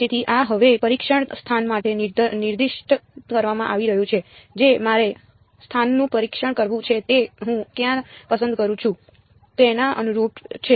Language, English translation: Gujarati, So, this having being specified now for the testing location I have to testing location is corresponding to where I choose my r prime